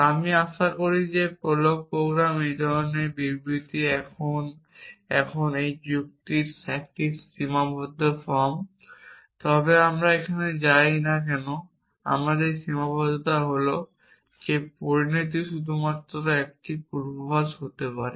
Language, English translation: Bengali, I hope prolog programme a statement of these kinds now this is a restricted form of logic, but we do not go into that the restriction here is that the consequent can only be one predicate